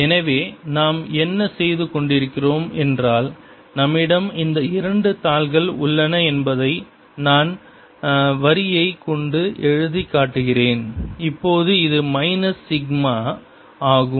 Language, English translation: Tamil, so what we are doing is we have this two sheets which i am writing, just showing by line now, minus sigma, we have the electric field coming down